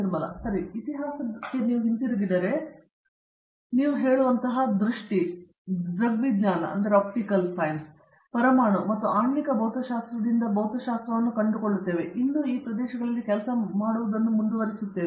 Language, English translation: Kannada, Okay so, if you go back in history you will find physics starting from say, Optics, Atomic and Molecular physics and we still continue to work in these areas